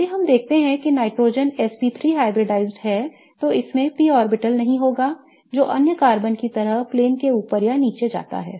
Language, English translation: Hindi, If we see that the nitrogen is SP3 hybridized, then it will not have a p orbital that goes above and below the plane just like other carbons